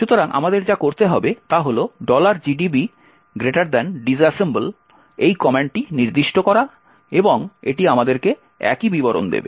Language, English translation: Bengali, So all we need to do is specify this command called disassemble and it would give us the exact same details